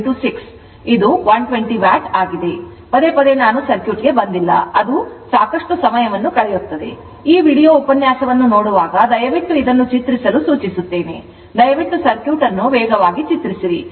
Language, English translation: Kannada, So, again and again I have not come to the circuit then it will consume lot of time, I will suggest please draw this when you look this look into this videolink lecture, you pleaseyou please draw the circuit faster